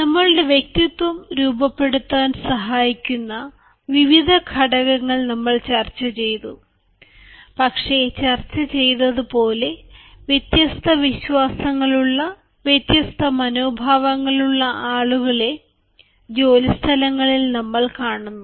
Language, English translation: Malayalam, ah, we have discussed the various components that help us from our personality but, as discussed, we come across um people of different faiths, people having different attitudes at workplaces